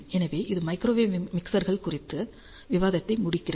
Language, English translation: Tamil, So, this concludes a discussion on Microwave Mixers